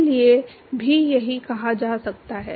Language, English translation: Hindi, Same thing can be said for